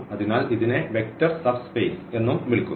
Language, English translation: Malayalam, So, we will be talking about that soon that what are these vector subspaces